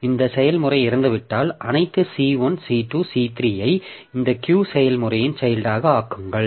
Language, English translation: Tamil, So, if this process dies, then make all this C1, C2, C3 as children of this Q process